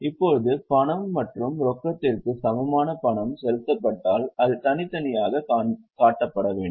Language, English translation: Tamil, Now if the payment is made by means of cash and cash equivalent that should be separately shown